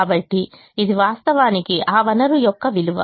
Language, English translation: Telugu, so this is actually the worth of that resource